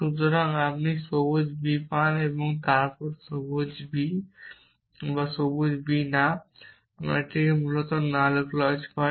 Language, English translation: Bengali, So, you get green b and then we not green b or green b and from that we get the null clause essentially